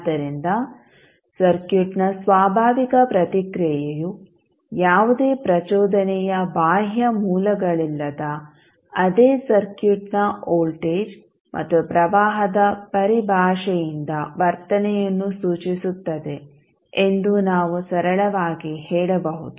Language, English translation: Kannada, So, we can simply say that natural response of the circuit, refers to the behavior that will be in terms of voltage and current of the circuit itself with no external sources of excitation